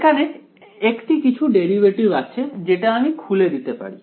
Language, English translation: Bengali, There is a derivative of something so I can open up this